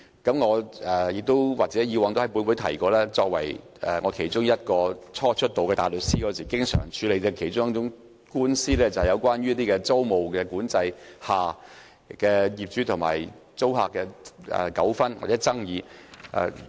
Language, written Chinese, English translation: Cantonese, 過往我亦曾在本會提過，我作為大律師，在初出道時經常要處理的其中一類官司，便是在租務管制下業主和租客的糾紛或爭議。, In the past I had mentioned in this Council that in my early days as a barrister the most common type of cases which I had to handle were cases of disputes or disagreement between landlords and tenants under tenancy control